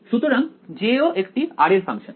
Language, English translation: Bengali, So, even J is a function of r